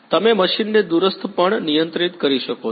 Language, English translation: Gujarati, You can control the machine also remotely